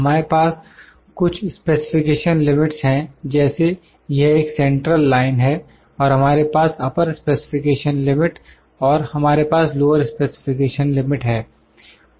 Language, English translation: Hindi, We have some specification limit like this is a central line and we have upper specification limit and we have lower specification limit lower specification limit